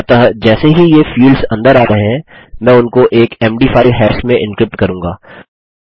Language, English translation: Hindi, So, as soon as these fields are coming in, I will encrypt them into an md 5 hash